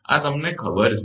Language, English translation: Gujarati, This is known to you